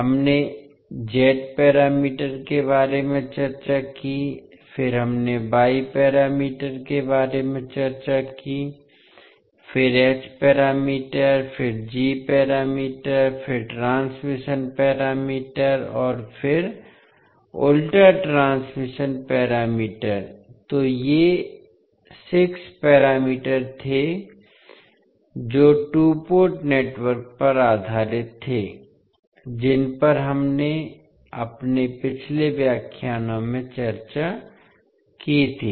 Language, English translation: Hindi, We discussed about Z parameters, then we discussed about Y parameters, then H parameters, then G parameters, then transmission parameters and the inverse transmission parameters, so these were the 6 parameters based on two port networks we discussed in our previous lectures